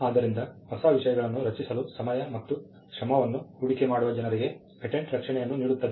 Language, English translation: Kannada, So, patents grant a protection for people who would invest time and effort in creating new things